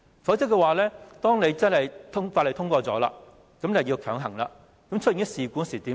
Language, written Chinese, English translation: Cantonese, 否則《條例草案》一經通過，便要強行實施，發生事故時怎辦？, Otherwise once the Bill is passed XRL is bound to commission . What will happen should accidents occur?